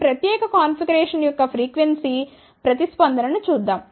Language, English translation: Telugu, Let us see the frequency response of this particular configuration